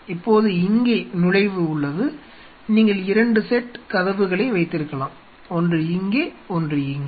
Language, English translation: Tamil, Now here are the entry port you could have 2 sets of doors one here one here